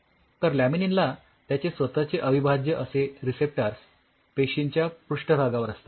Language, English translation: Marathi, So, laminin has its respective integral receptors on the cell surface